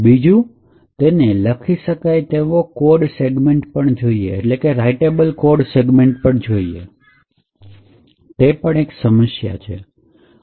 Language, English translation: Gujarati, Secondly, it requires a writable code segment, which could essentially pose problems